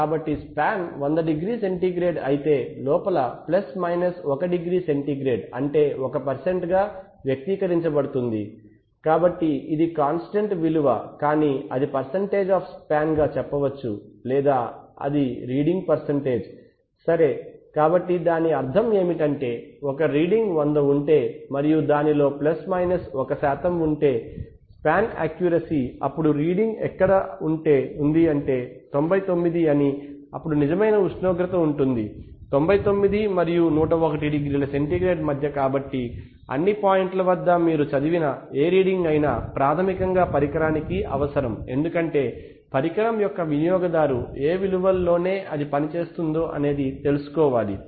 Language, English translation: Telugu, So if the span is 100 degree centigrade then a an error is of plus minus 1 degree centigrade can be expressed as 1% of the span, so it is either a constant value it may be expressed with the percent of span or it is a percent of the reading, okay, so what it means that is there if a reading is 100 and if it has plus minus 1 percent of, let us say span accuracy then the reading is somewhere within let us say 99 and then the true temperature will be between 99 and 101 degree centigrade and this, so at all points so whatever reading you get you can always basically these are needed because the, because the user of the instrument needs to know that in within what values